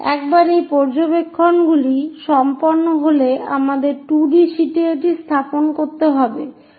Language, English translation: Bengali, Once these observations are done we have to represent that on the 2 D sheet